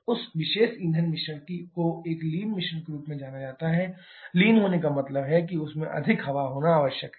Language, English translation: Hindi, That particular air fuel mixture is known as a lean mixture, lean means it contains more air then required